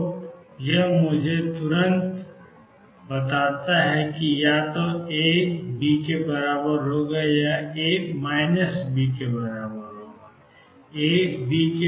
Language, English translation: Hindi, So, this immediately tells me that either A equals B or A equals minus B